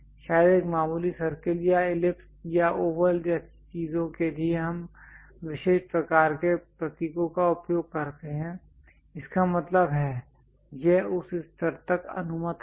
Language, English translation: Hindi, Perhaps a circle to slightly ellipse or oval kind of things we use special kind of symbols; that means, it is allowed up to that level